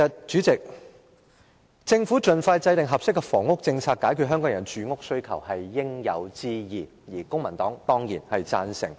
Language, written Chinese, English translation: Cantonese, 主席，政府盡快制訂合適的房屋政策，解決香港人的住屋需求，是應有之義，公民黨也當然贊成。, President it is an obligation of the Government to expeditiously formulate an appropriate housing policy to meet the housing demand of Hong Kong people and the Civic Party certainly agrees with this